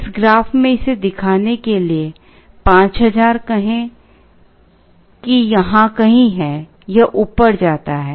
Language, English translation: Hindi, To show it in this graph, let us say 5000 is somewhere here, it goes up